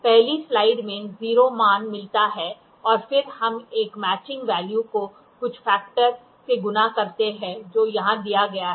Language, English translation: Hindi, First slide get the 0 value and then we see a matching value multiplied with some factor which is given here